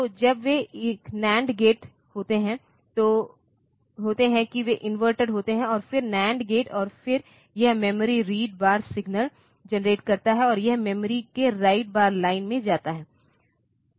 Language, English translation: Hindi, So, when they are nand gate that they are inverted and then nand gate, and then that generates this memory write bar signal, and that goes to the right bar line of the memory